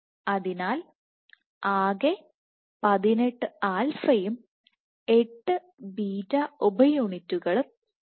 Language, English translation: Malayalam, So, in total there are 18 alpha and 8 beta sub units